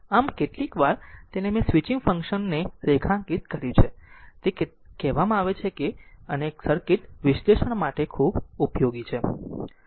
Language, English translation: Gujarati, So, sometimes it is called all I have underlined the switching function and very useful for circuit analysis right